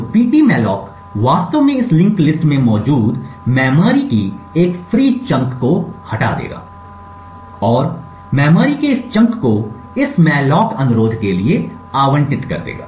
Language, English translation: Hindi, So, ptmalloc would in fact remove a free list chunk of memory present in this list and allocate this chunk of memory to this malloc request